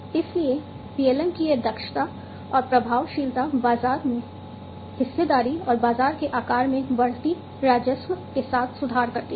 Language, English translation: Hindi, So, this efficiency and effectiveness of PLM improves the market share and market size, with increasing revenue